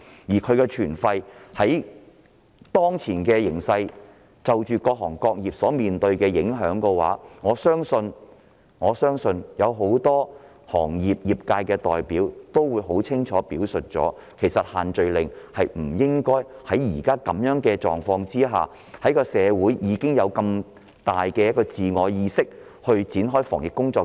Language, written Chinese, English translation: Cantonese, 此外，就當前形勢、各行各業所面對的影響而言，相信很多業界代表均明確地認為不應在現時的狀況下繼續實施限聚令，因為社會已建立強烈的自我意識，展開種種防疫工作。, Moreover as reflected from the current situation and the impact on various trades and industries I believe that many trade representatives are of the clear opinion that the social gathering restrictions should not be allowed to remain in force under the present situation because a strong self - awareness has already been created in society for all sorts of epidemic prevention work